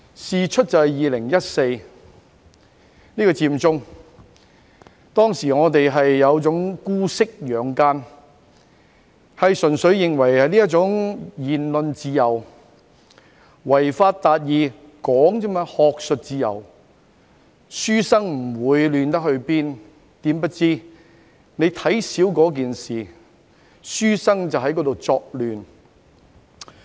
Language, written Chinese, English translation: Cantonese, 事因在2014年的佔中事件中，我們有點姑息養奸，認為純粹事關言論自由，違法達義亦只是提出意見，在學術自由下的書生不會亂成怎樣。, It is because we were somewhat excessively lenient during the Occupy Central in 2014; we thought that it was purely a matter of the freedom of speech and achieving justice by violating the law was also merely an expression of views so the scholars would not make much chaos under academic freedom